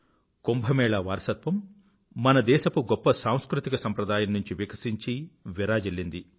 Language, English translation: Telugu, The tradition of Kumbh has bloomed and flourished as part of our great cultural heritage